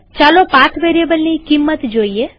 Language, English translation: Gujarati, Lets see the value of the path variable